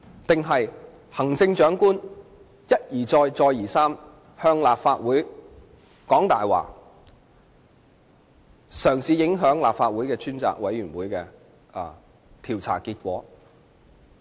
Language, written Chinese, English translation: Cantonese, 還是看到行政長官一而再，再而三向立法會說謊，嘗試影響立法會專責委員會的調查結果？, Or do they see the Chief Executive lie to the Legislative Council repeatedly trying to affect the result of an inquiry by the Select Committee of the Legislative Council?